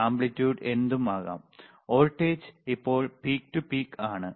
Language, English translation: Malayalam, Aamplitude you can be whatever, voltage is peak to peak right now